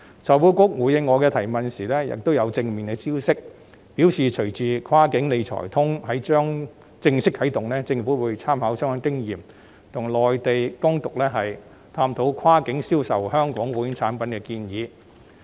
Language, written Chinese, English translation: Cantonese, 財庫局回應我的質詢時亦有正面消息，表示隨着"跨境理財通"即將正式啟動，政府會參考相關經驗，與內地當局探討跨境銷售香港保險產品的建議。, In response to my question FSTB also provided some positive information . It replied that with the upcoming launch of the cross - boundary Wealth Management Connect the Government would take reference of relevant experience and further explore with Mainland authorities the proposal of facilitating cross - boundary sale of Hong Kong insurance products